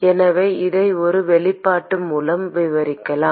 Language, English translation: Tamil, So, we could describe this by an expression